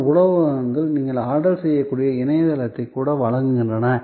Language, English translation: Tamil, Some restaurants are even providing a website, where you can place the order